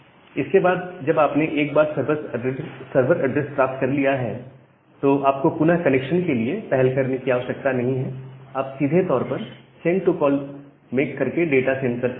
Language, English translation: Hindi, So, after that once you have got the server address, again you do not need to initiate a connection, you can directly make the send to call to send some data